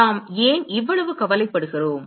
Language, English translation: Tamil, Why are we so concerned